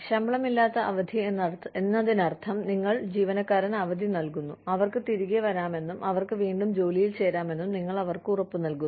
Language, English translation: Malayalam, Unpaid leave, the conditions for unpaid leave could be, unpaid leave means, you give the employee leave, and you give them an assurance that, they can come back, and they can join their work, again